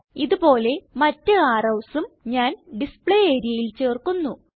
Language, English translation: Malayalam, Likewise I will add other types of arrows to the Display area